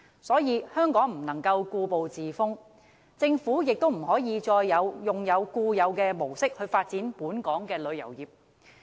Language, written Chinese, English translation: Cantonese, 所以，香港不能夠故步自封，政府亦不能再按固有模式發展本港的旅遊業。, Thus Hong Kong cannot be complacent and the Government can no longer stick to its established mode of developing the tourism industry of Hong Kong